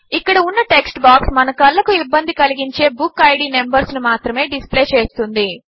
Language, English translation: Telugu, Notice that the text box here will only display BookId numbers which are not friendly on our eyes